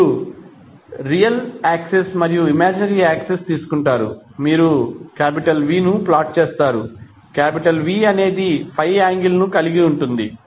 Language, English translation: Telugu, So how you will represent graphically, you will take real axis, imaginary axis, you plot v, v has angle 5 with respect to real axis, right